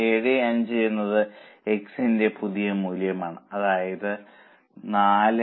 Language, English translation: Malayalam, 75 is the new value of x into new rate that is 4